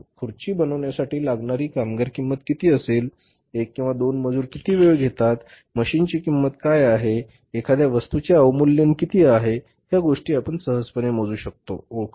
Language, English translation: Marathi, How much labour cost would be there say for manufacturing a chair, how much time one or two laborers take and what is the machine cost and what is a depreciation or the things that can easily be calculated found out